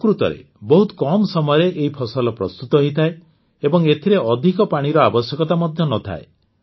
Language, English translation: Odia, In fact, the crop gets ready in a very short time, and does not require much water either